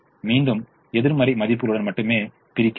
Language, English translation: Tamil, once again, we divide only with negative values